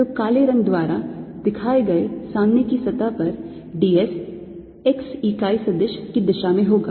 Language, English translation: Hindi, so on the front surface shown by black, the d s is going to be in the direction of x unit vector